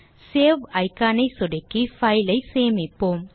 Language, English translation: Tamil, Let us Savethe file by clicking on Save icon